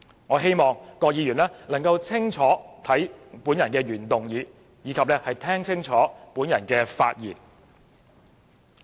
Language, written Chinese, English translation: Cantonese, 我希望郭議員能看清楚我的原議案，以及聽清楚我的發言。, I wish Dr KWOK would read my original motion carefully and listen to my speech attentively